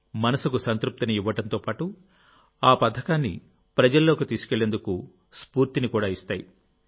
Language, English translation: Telugu, It also gives satisfaction to the mind and gives inspiration too to take that scheme to the people